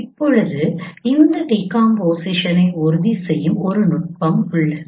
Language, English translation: Tamil, Now there is a technique which ensures this decomposition